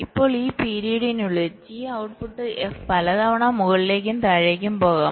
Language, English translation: Malayalam, right now, within this time period t, the output f may be going up and going down several times